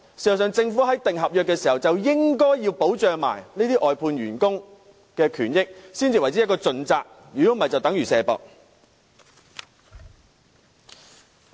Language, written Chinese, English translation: Cantonese, 事實上，政府訂立合約時，應該一併保障這些外判員工的權益，才算是盡責，否則便等於"卸膊"。, This is the Governments sloppiness . In fact in concluding a contract the Government should at the same time protect the rights and interests of outsourced workers . Only then can it be regarded as responsible